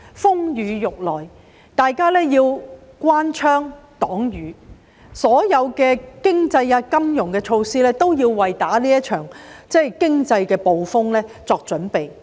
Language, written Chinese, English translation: Cantonese, 風雨欲來，大家要關窗擋雨，所有經濟金融措施都是為這場經濟風暴作準備的。, As the storm was on the way everyone had to close the windows to keep out the rain . All economic and financial measures were taken to prepare for the economic storm